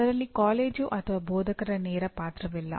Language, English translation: Kannada, The college or instructor has no direct role in that